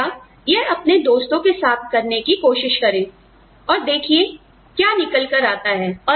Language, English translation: Hindi, Just discuss this, with your friends, and see what comes out